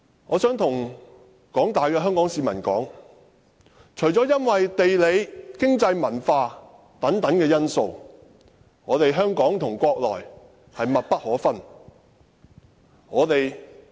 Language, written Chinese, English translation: Cantonese, 我想告訴廣大香港市民，因為地理、經濟、文化等因素，香港與國內是密不可分的。, Let me tell members of the general public Hong Kong and the Mainland are inseparable due to geographical economic and cultural factors